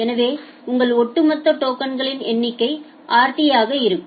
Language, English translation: Tamil, So, your cumulative number of token will be rt